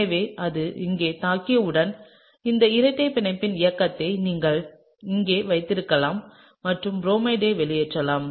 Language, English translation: Tamil, And so, once it attacks here then you could have the movement of this double bond over here and kicks out bromide, okay